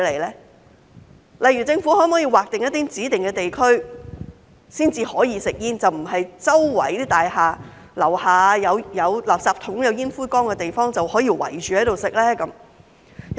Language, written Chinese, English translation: Cantonese, 舉例來說，政府可否劃出一些指定地區，只在該處才准吸煙，而不是在大廈樓下有垃圾桶、有煙灰缸的地方隨處圍着吸煙呢？, For example can the Government designate specific zones and allow smoking within those zones only so that people will not smoke in any places below a building where there are rubbish bins or ashtrays?